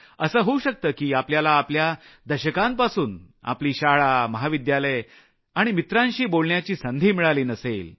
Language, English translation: Marathi, It's possible that you too might not have gotten a chance to talk to your school and college mates for decades